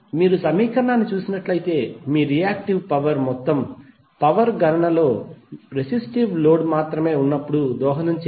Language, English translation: Telugu, So if you see the equation your reactive power would not be contributing in the overall power calculation when you have only the resistive load